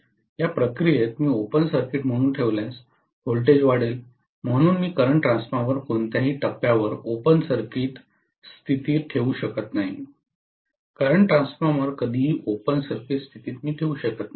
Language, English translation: Marathi, In the process voltage will be stepped up if I keep it as an open circuit, so I cannot keep the current transformer in open circuit condition at any stage, never ever keep the current transformer in open circuit condition